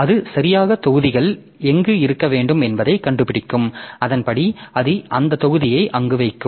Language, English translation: Tamil, So, so where it will be it will find out where exactly the block should be there and accordingly it will be putting the block there